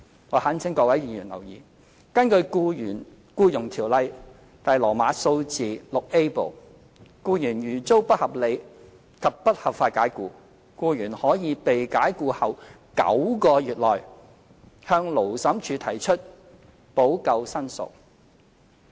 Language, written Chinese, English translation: Cantonese, 我懇請各位議員留意，根據《僱傭條例》第 VIA 部，僱員如遭不合理及不合法解僱，僱員可於被解僱後9個月內向勞審處提出補救申索。, I implore Members to take note that according to Part VIA of the Employment Ordinance if an employee is unreasonably and unlawfully dismissed heshe may make a claim for remedies with the Labour Tribunal within nine months after the dismissal